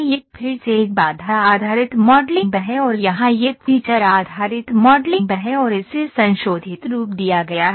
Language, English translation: Hindi, This is again a constraint based modeling and here it is feature based modeling and it is modified form